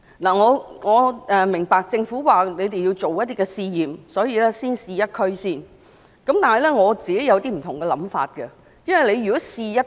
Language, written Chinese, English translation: Cantonese, 我明白政府說要進行一些試驗，所以先在一區試行，但我有不同的想法。, I appreciate Governments need to conduct some trials thats why a pilot scheme is introduced in a single district first . Nonetheless I see things differently